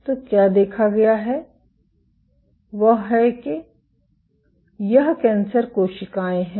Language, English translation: Hindi, So, what has been observed is this cancer cells